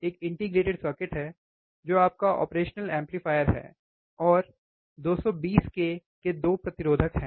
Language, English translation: Hindi, There is an integrated circuit, which is your operational amplifier and there are 2 resistors of 220 k, right